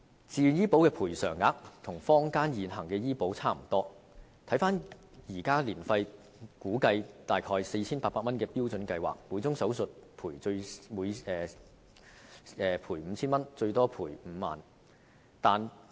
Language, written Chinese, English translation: Cantonese, 自願醫保的賠償額與坊間現行的醫保差不多，以現時年費估計約 4,800 元的標準計劃來說，每宗手術賠款 5,000 元，最高賠款5萬元。, The level of compensation under VHIS is more or less the same as that of existing health insurance plans in the market . Under a standard plan with the annual premium currently estimated to be around 4,800 the compensation per surgery is 5,000 subject to a maximum limit of 50,000